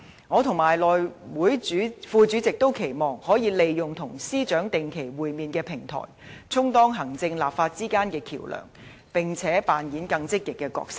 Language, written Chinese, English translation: Cantonese, 我和內務委員會副主席均期望可以利用與司長定期會面的平台，充當行政立法之間的橋樑，並且扮演更積極的角色。, I together with the House Committee Deputy Chairman hope to serve as a bridge between the executive and the legislature by using this platform of regular meetings with the Chief Secretary for Administration and to play a more active role